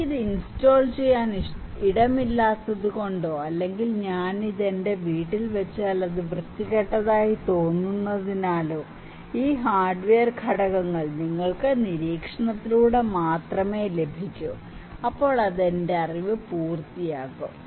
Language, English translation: Malayalam, Because I do not have maybe space to install it or maybe it would look ugly if I put it into in my house so, these hardware components you can only get through observation, okay and then it would complete my knowledge